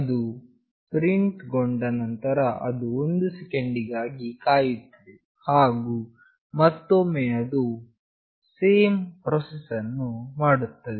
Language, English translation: Kannada, After it gets printed it will wait for 1 second, and again it will do the same process